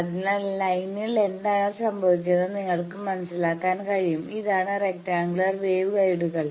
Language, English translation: Malayalam, So, you can sense what is happening along the line, this is the rectangular wave guides thing